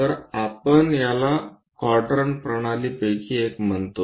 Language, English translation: Marathi, then that is what we call one of the quadrant system